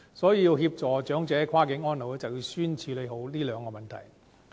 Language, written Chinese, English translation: Cantonese, 所以，要協助跨境安老，便要先處理這兩個問題。, Hence to promote cross - boundary elderly care we will first need to overcome these two hurdles